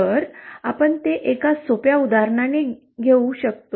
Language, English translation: Marathi, If we can take it with a simple example